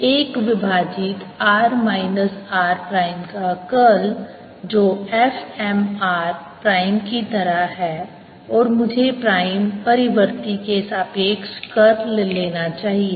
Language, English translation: Hindi, therefore curl of one over r minus r prime, which is like f m r prime and should be taking curl with respect to the prime variable